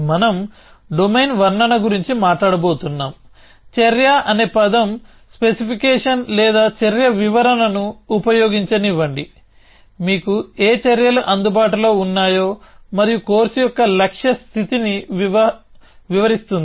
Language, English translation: Telugu, We are going to talk of domain description, action let me use the word specification or action description, describing what actions are available to you and of course goal states